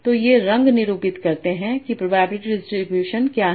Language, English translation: Hindi, So this colors denote what is the probability distributions